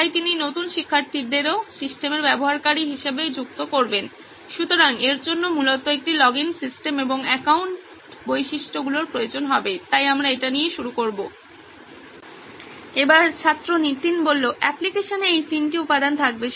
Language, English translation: Bengali, So he would also be adding new students as users into the system, so this would require a login system and account features basically, so we will start with having these three components in the application